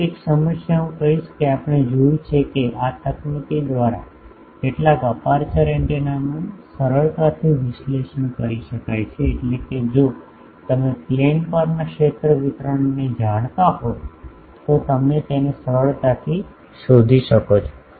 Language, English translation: Gujarati, But one problem I will say that we have seen that some of the aperture antennas can be readily analysed by this technique, that is if you know the field distribution over a plane you can easily find it out